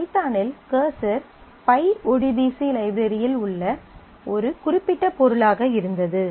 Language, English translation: Tamil, So, in python the cursor was a particular object in the pyodbc library